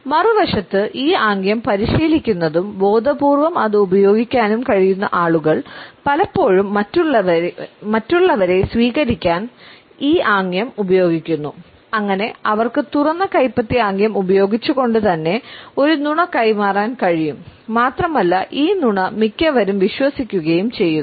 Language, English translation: Malayalam, On the other hand those people who are able to practice this gesture and are able to use it in an intentional manner often use this gesture to receive others so that they can pass on a lie within open palm and this lie would be trusted by most of the people